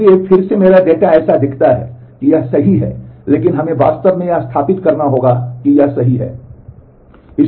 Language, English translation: Hindi, So, again my the data it looks like that this is correct, but we have to actually establish that this is correct